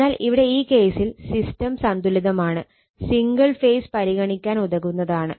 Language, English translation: Malayalam, So, in this case what happened, the system is balanced and it is sufficient to consider single phase right